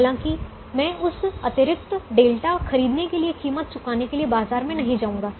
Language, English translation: Hindi, therefore, i will not go to the market to pay a price to buy that extra delta